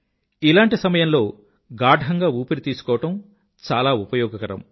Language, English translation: Telugu, Deep breathing during these times is very beneficial